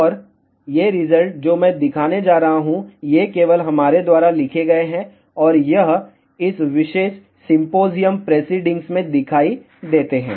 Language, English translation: Hindi, And these results, which I am going to show, these are written by us only, and it appears in this particular symposium preceding